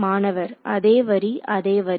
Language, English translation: Tamil, Same line same line